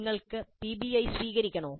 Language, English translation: Malayalam, You want to adopt PBI